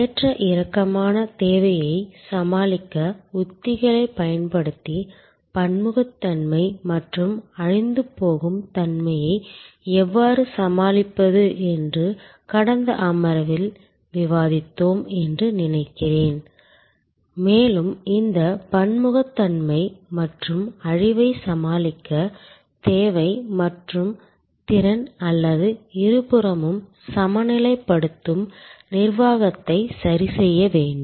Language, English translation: Tamil, And I think in the last session we have discussed that how we can tackle heterogeneity and perishability by using strategies to cope with fluctuating demand and we need to adjust demand and capacity or rather both side balancing management to tackle this heterogeneity and perishability